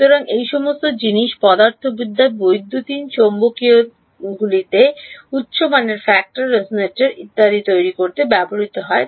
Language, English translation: Bengali, So, all of these things are tricks used in physics electromagnetics to make high quality factor resonators and so on, but that is a separate topic